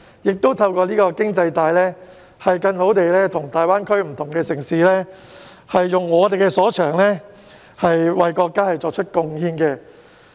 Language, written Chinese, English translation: Cantonese, 此外，透過這條經濟帶，香港亦可更好地與大灣區的不同城市合作，發揮我們所長，為國家作出貢獻。, Besides Hong Kong may make use of this economic belt to foster better collaboration with various GBA cities thereby leveraging our strengths to contribute to the country